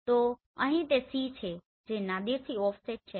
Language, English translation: Gujarati, So here it is C which is offset from Nadir